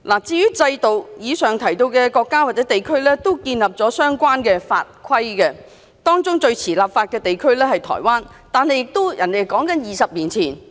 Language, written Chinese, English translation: Cantonese, 至於制度，以上提到的國家或地區都建立了相關法規，當中最遲立法的地區是台灣，但也是20年前。, Regarding the system the countries or places mentioned above have introduced legislation on this subject . Taiwan is the latest among them in introducing legislation but it did so 20 years ago